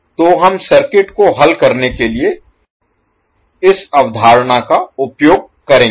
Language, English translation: Hindi, So we will utilize this concept to solve the circuit